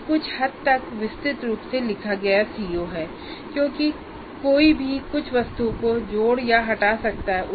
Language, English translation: Hindi, That is a CO written somewhat elaborately because one can add or delete some of the items in this